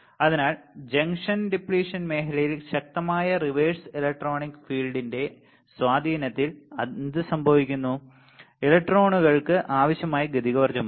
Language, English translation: Malayalam, So, what happens under the influence of strong reverse electric field with the junction depletion region, electrons have enough kinetic energy